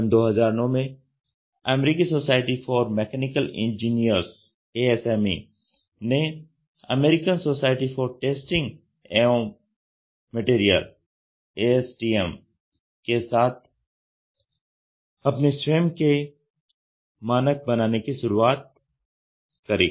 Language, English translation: Hindi, In 2009, the American society for mechanical engineers in cooperation with the American society for Testing and Materials started the development of their own standards